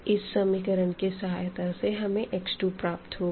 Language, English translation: Hindi, So, here from this equation we will get x 2 variable